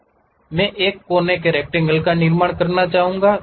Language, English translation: Hindi, I would like to construct a corner rectangle